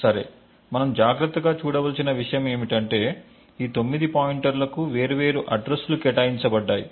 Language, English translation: Telugu, Okay, and one thing what we need to see is that these 9 pointers have been allocated different addresses